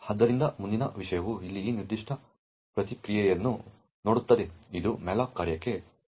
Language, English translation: Kannada, So, the next thing will look at is this particular response over here which is a call to the malloc function